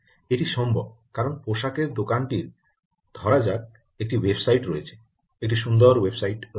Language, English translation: Bengali, that is possible because the garment shop, let us say, has a website, has a beautiful website, garment shop